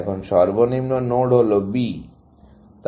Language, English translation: Bengali, The lowest node now is B